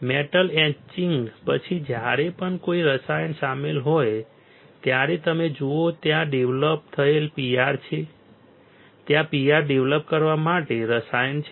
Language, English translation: Gujarati, After metal etching whenever there is a chemical involved you see there is developing PR there is a chemical to develop PR